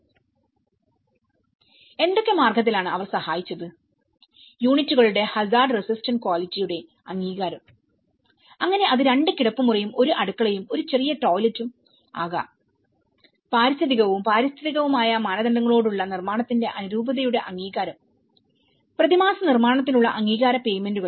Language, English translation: Malayalam, And what are the ways they were assisting, approval of hazard resistant quality of the units so it could be a 2 bedroom and a kitchen and 1 small toilet, approval of the conformance of the construction with ecological and environmental standards and approval of the monthly construction payments